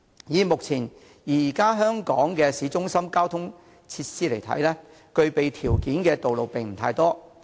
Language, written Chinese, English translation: Cantonese, 以目前在香港市中心的交通設施而言，具備條件的道路並不太多。, In light of the present transport facilities in the city centre in Hong Kong not too many roads can offer such conditions